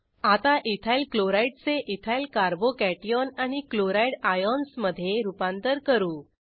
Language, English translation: Marathi, Now, lets convert second EthylChloride to Ethyl Carbo cation and Chloride ions